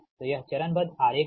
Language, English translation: Hindi, so this is the phasor diagram